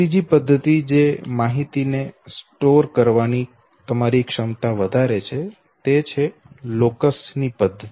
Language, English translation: Gujarati, The third format that can again you know enhance your capacity to store information is, the method of locus